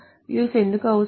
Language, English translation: Telugu, So why are views needed